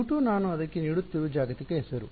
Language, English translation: Kannada, U 2 is the global name I am giving to it